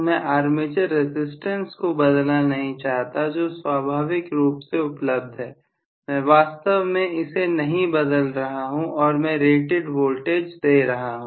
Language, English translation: Hindi, I do not want to change the armature resistance it is inherently whatever is available, I am not really changing that and I am giving rated voltage